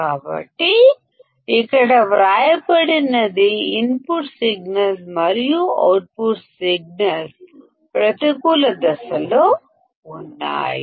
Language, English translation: Telugu, So, that is what is written here, that the input signals and output signals are out of phase